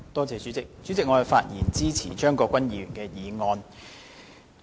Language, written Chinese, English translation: Cantonese, 主席，我發言支持張國鈞議員的議案。, President I speak in support of Mr CHEUNG Kwok - kwans motion